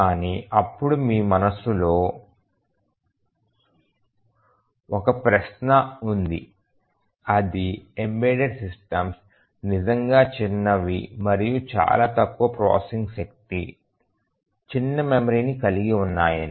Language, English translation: Telugu, But then one question that you have might in mind is that embedded systems are really small and they have very little processing power, small memory